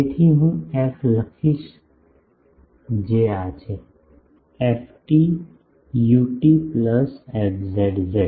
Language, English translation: Gujarati, So, I will write f is what; ft ut plus fz z